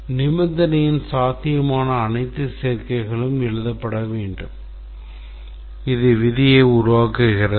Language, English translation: Tamil, All possible combinations of the conditions should be written and this forms the rule